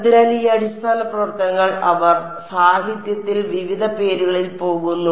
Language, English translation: Malayalam, So, these basis functions they go by various names in the literature right